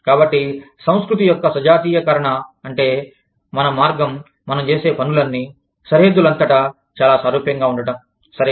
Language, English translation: Telugu, So, that is what, homogenization of culture means that, our, the way, we are doing things, has become very similar, across borders